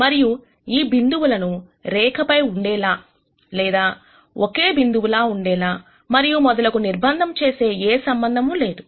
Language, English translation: Telugu, And there is no relationship that constrains these points to either lie on a line or be a single point and so on